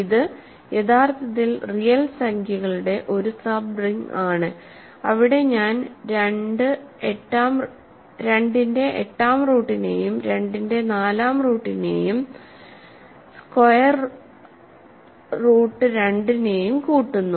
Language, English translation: Malayalam, So, this is actually a subring of the real numbers, where I am adding square root of 2 4th root of 2 8th root of 2 and so on